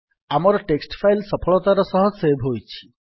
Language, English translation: Odia, So our text file has got saved successfully